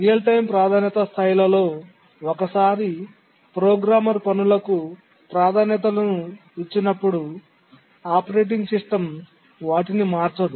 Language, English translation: Telugu, What we mean by real time priority levels is that once the programmer assigns priority to the tasks, the operating system does not change it